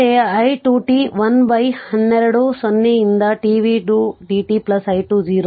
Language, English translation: Kannada, Similarly, for i 2 t 1 upon twelve 0 to t v 2 dt plus i 2 0